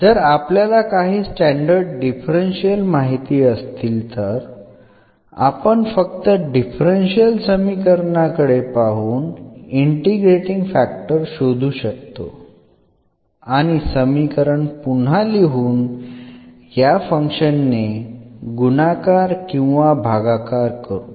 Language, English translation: Marathi, So, if we know some standard differentials here, then looking at the differential equation also we can find that if we rewrite this equation in this form or we multiply or divide by this function